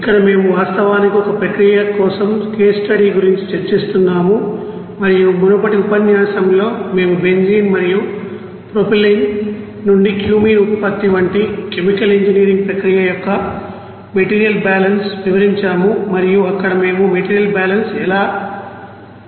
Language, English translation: Telugu, Here we are actually discussing about case study for a process and in the previous lecture we have described the material balance of a chemical engineering process like Cumene production from benzene and propylene